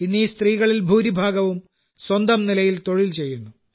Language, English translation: Malayalam, Most of these women today are doing some work or the other on their own